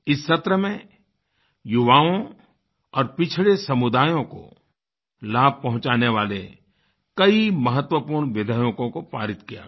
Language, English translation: Hindi, A number of importantbills beneficial to the youth and the backward classes were passed during this session